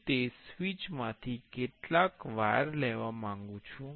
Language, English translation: Gujarati, I want to take some wires from that switch